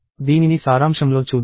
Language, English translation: Telugu, So, let us look at this in summary